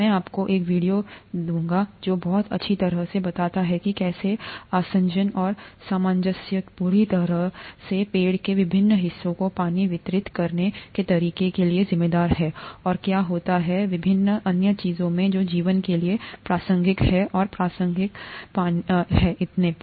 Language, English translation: Hindi, I will give you a video which very nicely explains how adhesion and cohesion are entirely responsible for the way the water gets distributed to various parts of tree, and what happens in various other things that, of life that are relevant for water and relevant in the context of water and so on